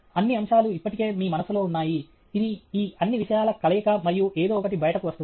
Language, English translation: Telugu, All the elements are already in your mind; this is the combination of all these things and something comes out